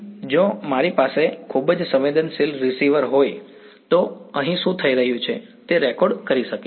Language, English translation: Gujarati, If I had a very sensitive receiver, I will be able to record what is happening over here